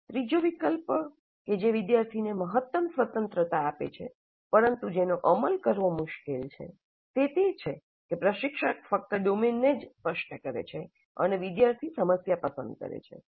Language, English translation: Gujarati, The third alternative, which is probably difficult to implement, but which gives the maximum freedom to the student, is that instructor specifies only the domain and the students select the problem